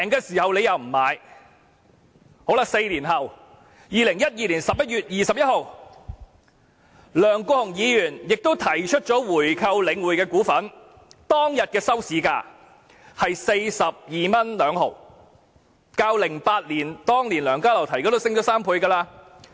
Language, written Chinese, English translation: Cantonese, 四年後 ，2012 年11月21日，梁國雄議員也提出購回領匯的股份，當天的收市價是 42.2 元，已經是2008年梁家騮提出時的3倍。, Four years down the line on 21 November 2012 Mr LEUNG Kwok - hung proposed to buy back the shares of The Link . The closing price was 42.2 that day which was already three times the price in 2008 when Dr LEUNG Ka - lau put forward this proposal